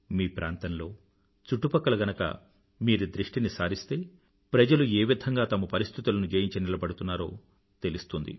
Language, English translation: Telugu, If you observe in your neighbourhood, then you will witness for yourselves how people overcome the difficulties in their lives